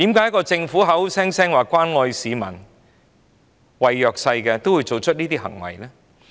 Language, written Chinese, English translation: Cantonese, 為何政府口口聲聲說關愛市民和弱勢社群，卻要做出這種行為呢？, Why would the Government act like this when it keeps claiming its concern about the people and the underprivileged?